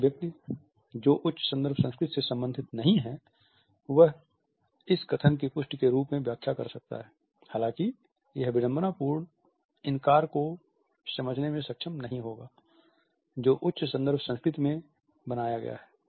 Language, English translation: Hindi, A person who does not belong to the high context culture may often interpret it as a confirmation of this statement which he has been trying to make, however, he would not be able to understand the ironical denial which is in built in the high context culture